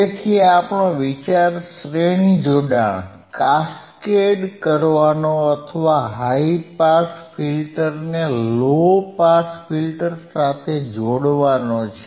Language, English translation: Gujarati, So, the idea is to cascade or to integrate the high pass filter with the low pass filter